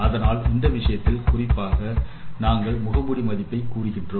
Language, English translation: Tamil, So, in this case particularly, say, we are representing the mask value